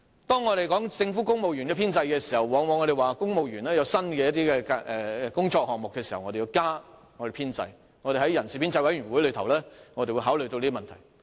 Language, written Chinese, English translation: Cantonese, 當我們談論政府公務員的編制時，往往會說，公務員有新工作項目時，便要增加其編制，我們在人事編制小組委員會內會考慮這些問題。, Very often in our discussion about the civil service establishment we will talk about the need to expand the establishment when there are new job items in the Civil Service . We will consider these issues in the Establishment Subcommittee